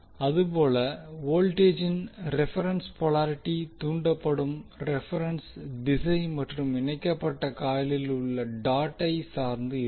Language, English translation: Tamil, Thus the reference polarity of the mutual voltage depends upon the reference direction of inducing current and the dots on the couple coil